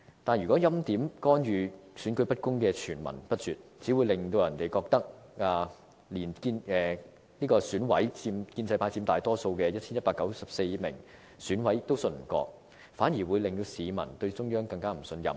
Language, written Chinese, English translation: Cantonese, 但是，如果欽點、干預、選舉不公的傳聞不絕，只會令人覺得中央連建制派佔大多數的 1,194 名選委也不信任，反而令市民對中央更不信任。, However if there are incessant rumours about preordination interference and the election being inequitable people will think that the Central Authorities do not even trust the 1 194 EC members the majority of whom are from the pro - establishment camp . This will further weaken peoples trust in the Central Authorities